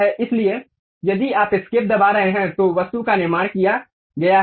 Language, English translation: Hindi, So, if you are pressing escape, the object has been constructed